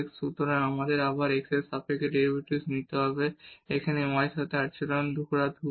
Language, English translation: Bengali, So, we have to take the derivative again with respect to x here treating y is constant